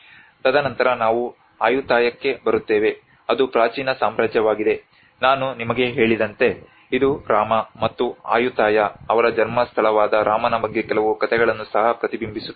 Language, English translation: Kannada, And then we come to the Ayutthaya which is has been an ancient kingdom as I said to you it also reflects some stories about the Rama the birthplace of Rama and Ayutthaya